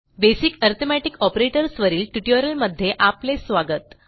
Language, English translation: Marathi, Welcome to this tutorial on basic arithmetic operators